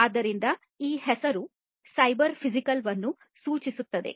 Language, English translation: Kannada, So, this is the cyber physical system